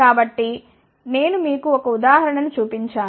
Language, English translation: Telugu, So, I just showed you one of the examples